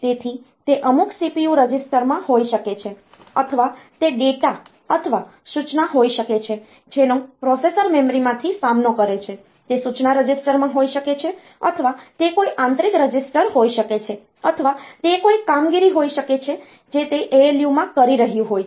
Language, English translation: Gujarati, So, it may be in some CPU register or it may be that data or the instruction that has been faced by the processor from the memory, it is in the instruction register or it may be some internal register or it may be some operation that it is doing in the ALU